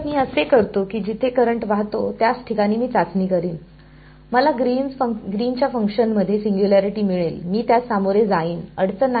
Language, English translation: Marathi, So, I will where the current is flowing that is going to be the place where I will do testing, I will get the singularity in Green's functions I will deal with it not a problem